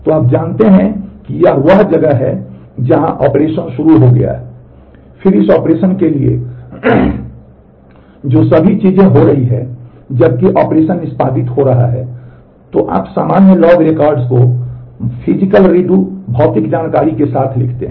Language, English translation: Hindi, So, you know this is where operation has started, then all the things that are happening for this operation while the operation is executing then you write normal log records with physical redo physical information